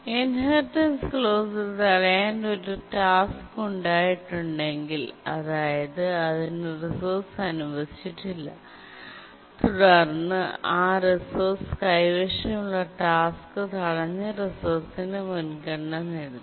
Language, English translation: Malayalam, If a task is made to block, it's not granted the resource, then the task holding that resource inherits the priority of the blocked resource